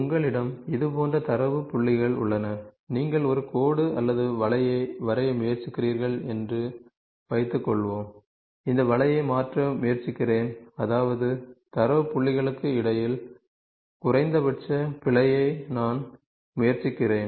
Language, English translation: Tamil, Suppose you have a set of data points like this and you are trying to draw a line so now, what I am trying to a line or a curve I am trying to shift this curve such that I try to have minimum error between the data points